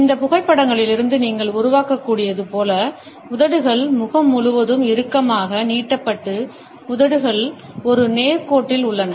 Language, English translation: Tamil, As you can make out from these photographs the lips are is stretched tight across face and the lips are in a straight line